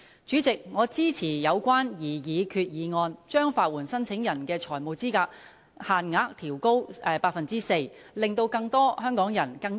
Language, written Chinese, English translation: Cantonese, 主席，我支持有關擬議決議案，將法援申請人的財務資格限額調高 4%， 令更多香港人和市民能夠受惠。, President I support the proposed resolution to increase the financial eligibility limit of legal aid applicants by 4 % to enable more people of Hong Kong and members of the public to benefit